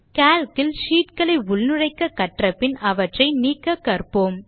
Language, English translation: Tamil, After learning about how to insert sheets, we will now learn how to delete sheets in Calc